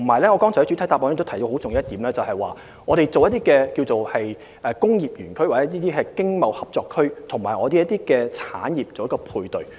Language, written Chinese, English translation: Cantonese, 同時，我在主體答覆中提到的很重要一點，是就工業園區或經貿合作區與香港產業作出配對。, At the same time I also made a very important point in the main reply and that is the matching of industrial parks or ETCZs with Hong Kong industries